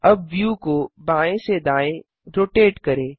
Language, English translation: Hindi, Now let us rotate the view left to right